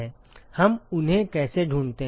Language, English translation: Hindi, how do we find them